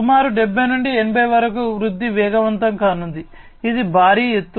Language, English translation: Telugu, The growth is going to be accelerated from about 70 to 80, so it is a huge leap